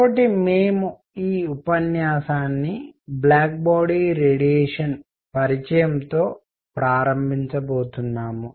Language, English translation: Telugu, So, we are going to start this lecture with introduction to black body radiation